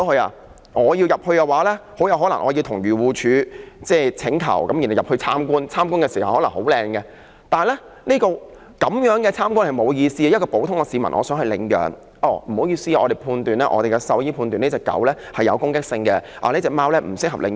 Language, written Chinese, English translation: Cantonese, 如果我要進入，很可能要向漁護署申請入內參觀，參觀時可能環境很好，但這樣參觀並無意思，一名普通市民想領養動物，署方往往表示獸醫判斷這隻狗有攻擊性，那隻貓亦不適合領養。, If I want to go into these centres I probably have to apply for a visit from AFCD . It is meaningless to make such a visit because they will make the environment of these centres very presentable when I visit them . When an ordinary citizen wishes to adopt the animals AFCD will say that according to the veterinary officer this dog has aggressive behaviour and that cat is not suitable for adoption